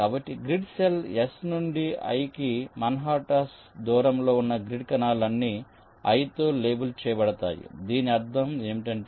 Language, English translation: Telugu, the grid cells which are at an manhattan distance of i from the grid cell s are all labeled with i